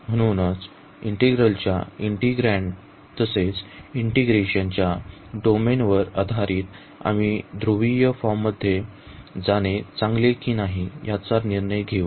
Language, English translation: Marathi, So, based on the integrand of the integral as well as the domain of integration we will decide whether it is better to go for the polar form